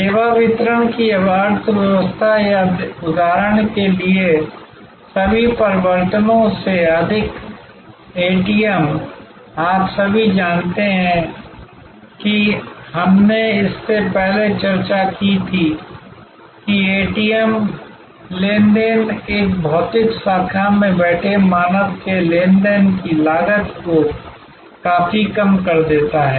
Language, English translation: Hindi, Over all changes the economy of the service delivery or for example, the ATM, you all know we discussed it before that ATM transaction vastly reduces the transaction cost of a human terror sitting in a physical branch